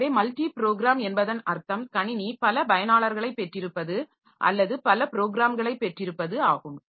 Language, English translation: Tamil, So, multi programmed this term comes from the fact when we have got multiple users for the system or multiple programs